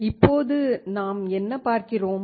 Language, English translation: Tamil, What do we see now